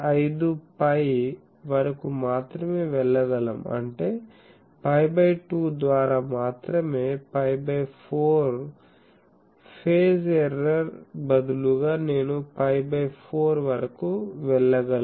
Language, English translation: Telugu, 5 pi; that means, pi by 2 only, instead of pi by 4 phase error I can go up to pi by 4